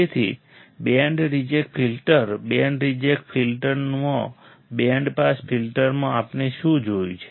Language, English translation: Gujarati, So, band reject filter; in band reject filter in band pass filter what we have seen